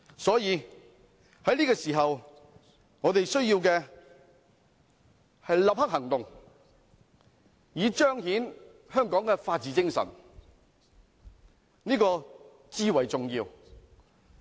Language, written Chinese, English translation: Cantonese, 因此，在這個時候，我們需要的是立刻行動，以彰顯香港的法治精神，這是至為重要的。, Hence at this moment we need to take immediate actions so as to rightly manifest the spirit of the rule of law in Hong Kong which is essential